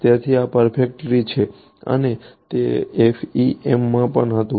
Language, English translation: Gujarati, So, this is perfect for and that was also the case in FEM